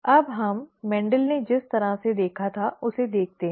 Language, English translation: Hindi, Now let us see the way the Mendel, the way Mendel saw it